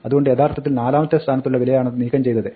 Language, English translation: Malayalam, And so it has actually deleted the value at the fourth position